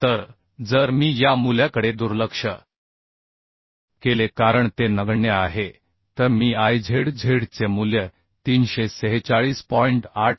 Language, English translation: Marathi, So if I neglect this value as it is negligible then I can find out the value of Izz as 346